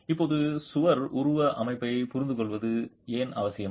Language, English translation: Tamil, Now why is it essential to understand the wall morphology